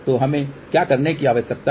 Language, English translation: Hindi, So, what we need to do